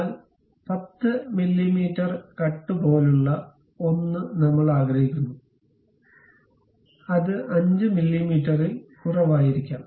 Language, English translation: Malayalam, But something like 10 mm cut I would like to have, may be lower than that 5 mm